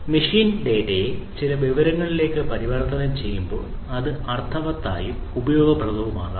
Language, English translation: Malayalam, As the conversion of machine data to some information, that can be made meaningful and useful